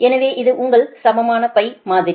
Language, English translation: Tamil, so this is your equivalent pi model